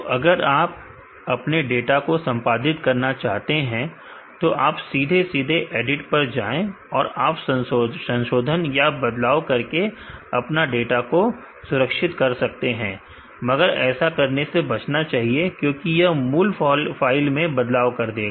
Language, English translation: Hindi, So, if you want to edit your data, you can directly go to edit and change modify and can save this data, but which should be avoided because this will modify original file itself